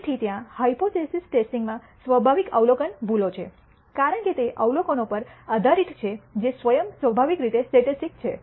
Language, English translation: Gujarati, So, there are inherent observe errors in the hypothesis testing because it is based on observations which are themselves stochastic in nature